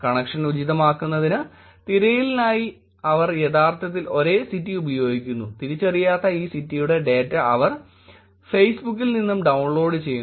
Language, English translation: Malayalam, To make the connection appropriate they actually use the same city for the search, they download data from Facebook and the city from this un identified data set